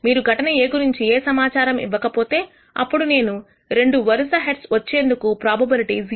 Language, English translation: Telugu, So, if you do not give me any information about event A, I will tell you that the probability of receiving two successive heads is 0